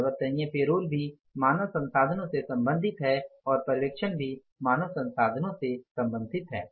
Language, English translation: Hindi, Variable payroll is also concerned to the human resources and supervision is also concerned to the human resources